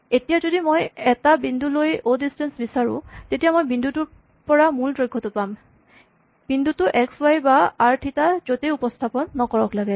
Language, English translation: Assamese, So, if I take a point and I ask for o distance I get the distance from the origin whether or not the point is represented using x y or r theta